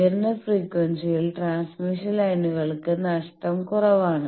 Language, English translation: Malayalam, Transmission lines are less lossy at higher frequency